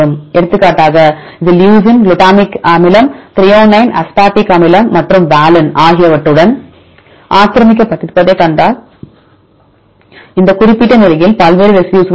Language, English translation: Tamil, For example, if you see this one is occupied with the leucine, glutamic acid, threonine aspartic acid and valine right there are various residues occupies at this particular position